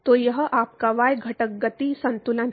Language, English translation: Hindi, So, that is your y component momentum balance